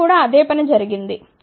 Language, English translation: Telugu, Same thing has been done over here also